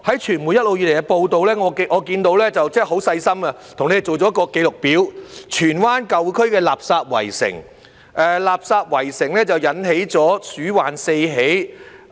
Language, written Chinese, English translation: Cantonese, 傳媒一直以來也有報道，我看到他們很細心地做了一個紀錄表，荃灣舊區的垃圾圍城，而垃圾圍城引起了鼠患四起。, There have been reports in the media all along and I see that they have carefully prepared a record listing the garbage siege in the old district of Tsuen Wan and the rat infestation problem resulting from garbage siege